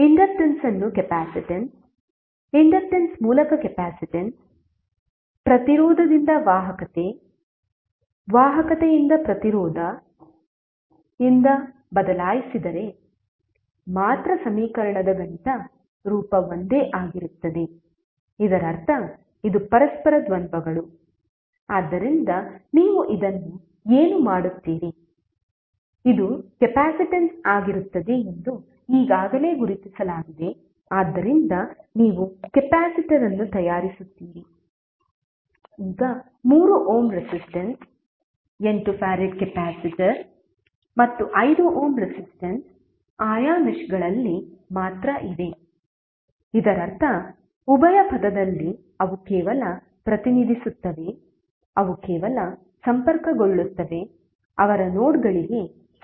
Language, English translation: Kannada, The mathematical form of the equation will be same only if the inductance is replaced by the capacitance, capacitance by inductance, conductance by resistance, resistance by conductance, it means that this are the duals of each other, so what you will do this you have already identified that this will be the capacitance so you will make a capacitor, now the 3 ohm resistance 8 farad capacitor and 5 ohm resistance are only in their respective meshes, it means that in dual term they will represent only respective they will be connected only with respect to their nodes